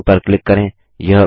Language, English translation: Hindi, Click on Drawing